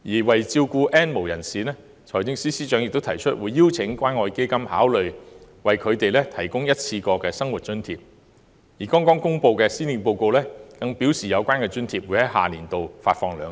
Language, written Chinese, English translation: Cantonese, 為照顧 "N 無人士"，財政司司長亦提出邀請關愛基金考慮為他們提供一次過生活津貼，而剛公布的施政報告更表示有關津貼會於下年度發放兩次。, To take care of the N have - nots the Financial Secretary also invited the Community Care Fund to consider providing a one - off living subsidy for them which will be granted in the next financial year in two rounds as announced in the Policy Address earlier